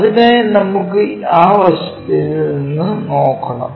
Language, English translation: Malayalam, So, we have to look from that side